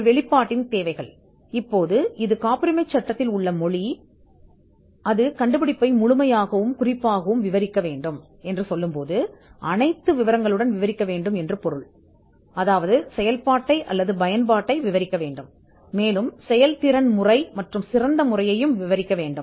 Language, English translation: Tamil, Requirements of a disclosure, now this is the language that is there in the Patents Act it should fully and particularly describe the invention, particularly means it should describe it in a in with the details , it should also describe the operation or use, it should describe the method of performance and also the best method